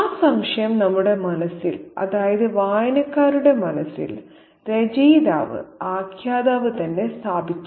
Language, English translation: Malayalam, And that has doubt has been put in our minds, in the minds of the readers by the author narrator himself